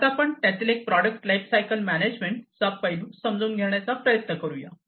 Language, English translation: Marathi, Now, let us try to understand the product lifecycle management aspect of it